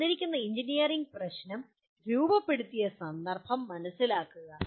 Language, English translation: Malayalam, Understand the context in which a given engineering problem was formulated